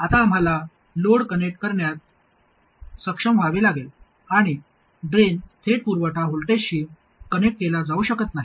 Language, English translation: Marathi, Now we have to be able to connect the load, okay, and the drain cannot be connected to the supply voltage directly